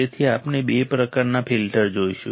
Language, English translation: Gujarati, So, we will see two kinds of filters